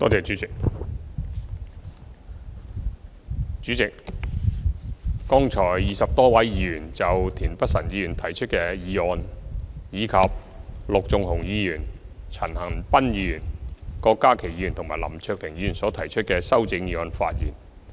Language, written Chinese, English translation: Cantonese, 主席，剛才20多位議員就田北辰議員提出的議案，以及陸頌雄議員、陳恒鑌議員、郭家麒議員及林卓廷議員所提出的修正議案發言。, President just now some 20 Members spoke on the motion proposed by Mr Michael TIEN and the amendments put forward by Mr LUK Chung - hung Mr CHAN Han - pan Dr KWOK Ka - ki and Mr LAM Cheuk - ting